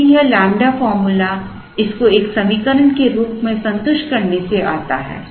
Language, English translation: Hindi, Because, this lambda formula comes from satisfying this as an equation